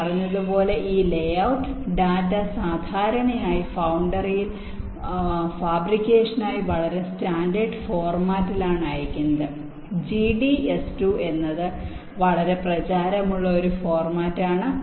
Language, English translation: Malayalam, as i said, this layout data is is usually send in some standard format for fabrication in the foundry g d s to is one such very popular format which is used